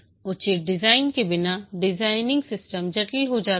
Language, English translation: Hindi, Designing without proper design, the system becomes complex